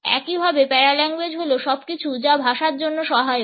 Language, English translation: Bengali, Paralanguage similarly is everything which is in auxiliary to language